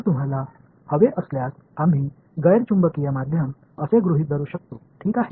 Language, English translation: Marathi, So, if you want we can say in assumptions non magnetic media ok